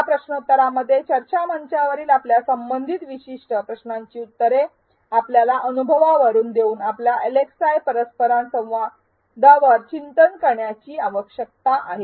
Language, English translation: Marathi, In this quiz, you need to reflect on your LxI interactions by answering specific questions related to your experience on the discussion forum